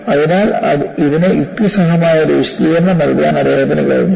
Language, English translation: Malayalam, So, he was able to provide a rational explanation to this